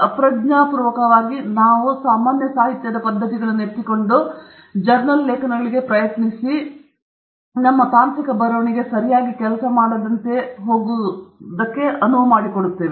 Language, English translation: Kannada, Unconsciously, we just pick up those habits and try and pass it off to journals, to our technical writing, which doesn’t work correctly